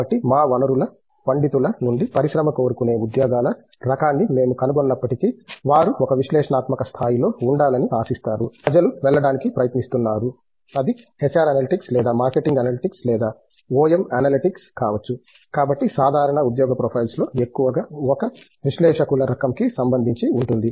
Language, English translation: Telugu, So, even if we find the type of jobs the industry seeks from our resource scholars are definitely; they except them to be in an analytical position and that is where people are trying to go, be it HR analytics or marketing analytics or OM analytics that is so the typical job profiles are more of an analyst type of a profile which people, if they are go into this one, but we have an equal number who get into academics also